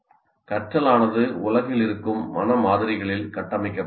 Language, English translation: Tamil, Learning needs to build on existing mental models of the world